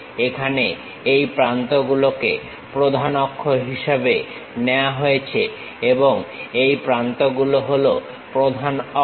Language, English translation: Bengali, Here the principal axis, can be taken as these edges are the principal axis